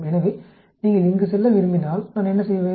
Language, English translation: Tamil, So, if you want to go here, what do I do